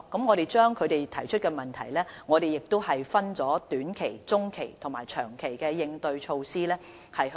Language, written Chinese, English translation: Cantonese, 我們將他們提出的問題分為短、中及長期來制訂應對措施。, We have categorized the problems they raised into short - medium - and long - term ones and formulated corresponding measures